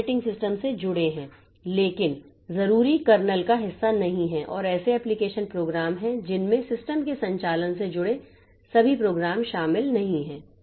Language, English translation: Hindi, These are associated with operating system but are not necessarily part of the kernel and there are application programs which include all programs not associated with the operation of the system